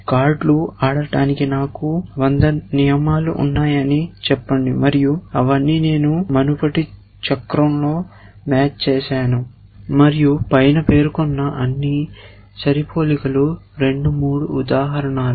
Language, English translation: Telugu, And let us say I had a 100 rules for playing cards and all of them I have done the match in the previous cycle and all of the above matching that say 2, 3 instances